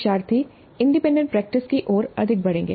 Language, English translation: Hindi, So the learners would move more towards independent practice